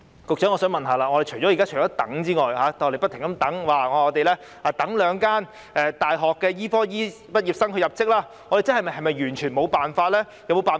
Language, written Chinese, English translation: Cantonese, 我想問局長，現時除了不停地等待兩間大學的醫科畢業生入職之外，是否便完全沒有其他辦法？, Let me ask the Secretary this Apart from having to wait for the medical students of the two universities to join as doctors after graduation is there entirely no other measure that can be taken?